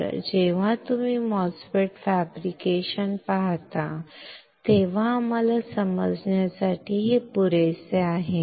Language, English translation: Marathi, So, this is enough for us to understand when you look at the MOSFET fabrication